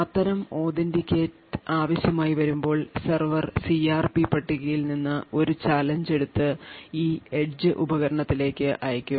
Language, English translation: Malayalam, When such authentication is required, the server would pick up a challenge from the CRP table and send this particular challenge to this edge device